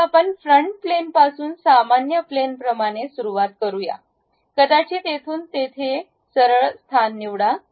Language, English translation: Marathi, Now, let us begin with a Front Plane normal to front plane maybe pick a Straight Slot from here to there to that